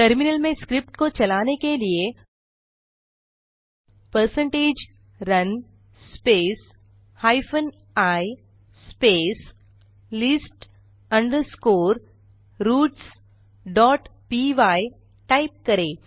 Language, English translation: Hindi, In the terminal run the script as percentage run space hyphen i space list underscore roots dot py